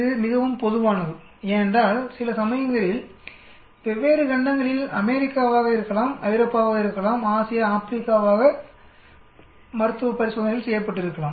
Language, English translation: Tamil, This is very common actually because clinical trials sometimes done in different continents, may be America's, may be Europe's, may be Asia's, Africa's and so on